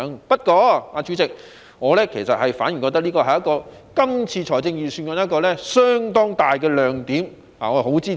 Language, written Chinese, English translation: Cantonese, 不過，代理主席，我反而認為這是今年預算案一個相當大的亮點，我十分支持。, However Deputy President this is a bright spot in the Budget this year that I strongly support